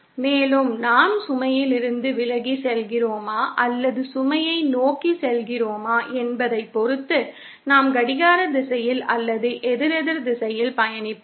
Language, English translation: Tamil, And depending on whether we are moving away from the load or towards the load, we will be traversing in a clockwise direction or anticlockwise direction